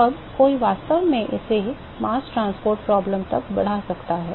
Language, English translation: Hindi, Now, one could actually extend this to a mass transport problem ok